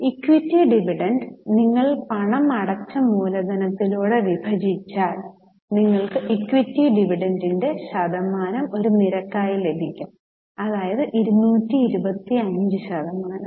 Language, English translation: Malayalam, So, equity dividend you divide it by paid up capital, we will get the percentage of equity dividend as a rate